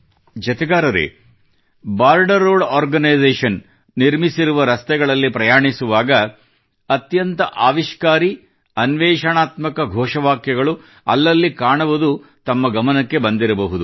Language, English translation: Kannada, you must have noticed, passing through the roads that the Border Road Organization builds, one gets to see many innovative slogans